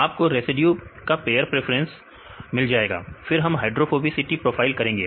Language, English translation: Hindi, You can get the residue pair preference, then we did the hydrophobicity profile